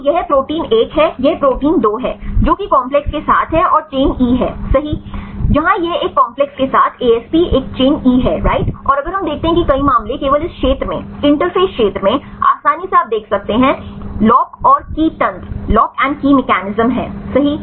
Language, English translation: Hindi, So, this is the protein 1 this is the protein 2 right with the complex and the chain E right where this is the ASP with a complex is a chain E right and if we see there are many cases only in this region interface region is easily you can see the lock and key mechanism right is you can see this is the convex and concave surface here right